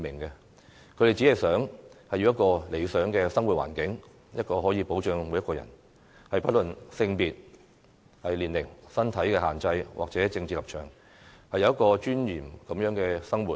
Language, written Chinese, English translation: Cantonese, 他們只想要一個理想的生活環境，確保每一個人，不論性別、年齡、身體限制或政治立場，均可有尊嚴地生活。, They only want a desirable living environment so as to ensure that everyone regardless of their gender age physical constraints or political stands can live in dignity